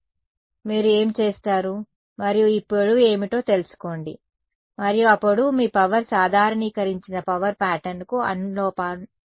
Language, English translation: Telugu, So, what you do you go and find out what is this length and that length is proportional to your power normalized power pattern right